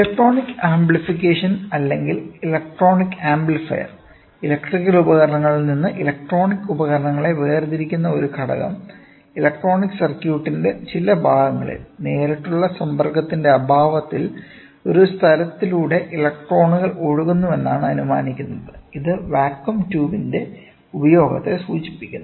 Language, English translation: Malayalam, So, electronic amplification or electronic amplifier; one of the factor that distinguishes electronic devices from electrical devices is assumed from the fact that in some part of the electronics circuit, electrons are made to flow through a space in the absence of physical contact which in other words implies the use of vacuum tube, ok So, earlier days we used vacuum tubes